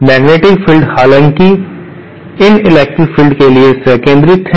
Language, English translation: Hindi, The magnetic fields however are concentric to these electric fields